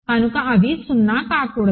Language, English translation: Telugu, So, they cannot be 0